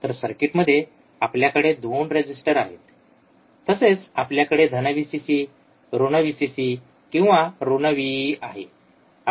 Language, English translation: Marathi, So, in the circuit was we have atwo resistors, we have a resistor, we have plus VVcccc, minus Vcc or minus Vee, w, right